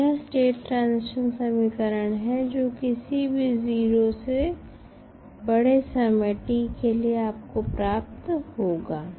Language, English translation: Hindi, So, this is the state transition equation which you will get for any time t greater than 0